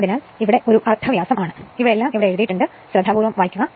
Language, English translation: Malayalam, So, it is a radius, so all these write up is there, so just read carefully